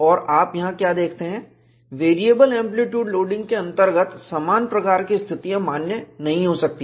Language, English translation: Hindi, And what you see here is, under variable amplitude loading, similitude conditions may not be valid